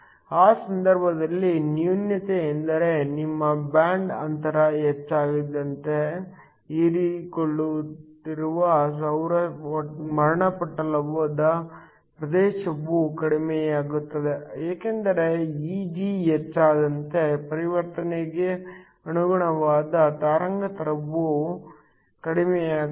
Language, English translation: Kannada, The drawback in that case is that as your band gap increases, the region of the solar spectrum that is being absorbed will decrease because as Eg increases, the corresponding wavelength for the transition will decrease